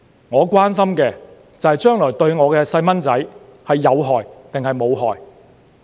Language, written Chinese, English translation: Cantonese, 我關心的，就是將來對我的小朋友有害還是無害。, My concern is whether they are harmful or not to my children in the future